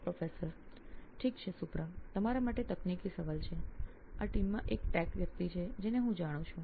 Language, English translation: Gujarati, Okay, here is the tech question to you Supra, he is a tech guy I know in this team